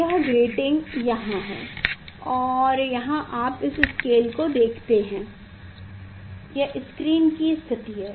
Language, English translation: Hindi, this grating is here and here you see this scale this is the screen position you can say